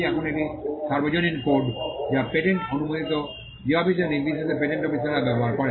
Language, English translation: Bengali, Now, these are universal codes which are used by patent officers regardless of the office in which the patent is granted